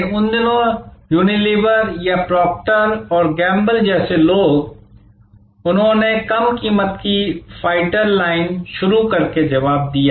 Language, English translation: Hindi, But, in those days, people like a Unilever or Proctor and Gamble, they responded with by launching a low price fighter line